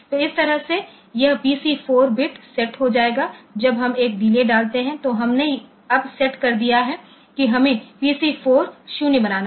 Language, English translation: Hindi, So, that way this PC 4 bit will be set when we put a delay then we have set the now we have to make the PC 4 0